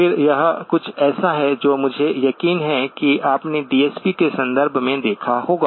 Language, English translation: Hindi, Again, this is something that I am sure you would have looked at in the context of DSP